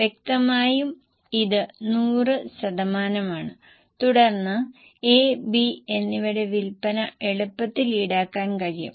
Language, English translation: Malayalam, Obviously it is 100% and then you will be easily able to charge the sales for A and B